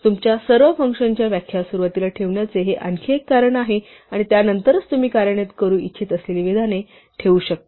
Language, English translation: Marathi, This is one more reason to put all your function definitions at the beginning and only then have the statements that you want to execute